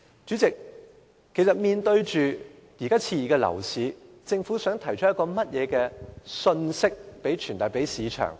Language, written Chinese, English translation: Cantonese, 主席，面對目前熾熱的樓市，政府想向市場傳遞甚麼信息？, Chairman when facing an exuberant property market what message does the Government want to give?